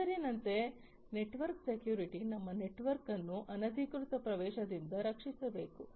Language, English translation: Kannada, Network security as the name says we have to protect our network from unauthorized access